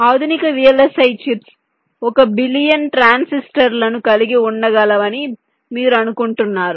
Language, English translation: Telugu, you think of the fact that modern day vlsi chips can contain more than a billion transistors